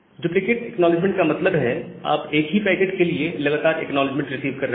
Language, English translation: Hindi, So, duplicate acknowledgement means, you are continuously receiving the acknowledgement of the same packet